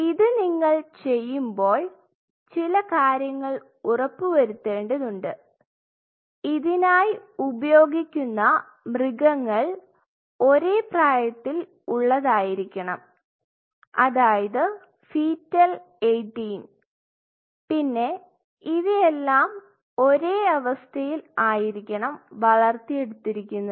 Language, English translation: Malayalam, So, you have to ensure couple of things while you are doing that you have to ensure the source animal are of the same age they are all your fetal 18 and you are picking it perfectly under the same conditions you have to grow all of them